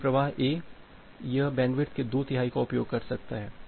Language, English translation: Hindi, So, this flow A, it can use the 2 third of the bandwidth